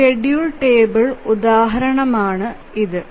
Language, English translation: Malayalam, So, here is an example of a schedule table